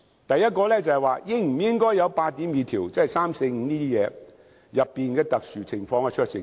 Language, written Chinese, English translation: Cantonese, 第一，應否有《條例草案》第82條，即情況三、四和五所述的特別情況的酌情權。, First whether clause 82 should be provided for or to put it another way whether discretion should be exercised for exceptional cases in Scenarios Three Four and Five